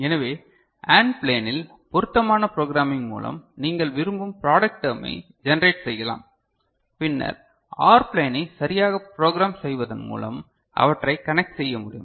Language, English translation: Tamil, So, you can generate product term of your choice by appropriate programming of AND plane and then you can also suitably connect them by appropriate programming of OR plane ok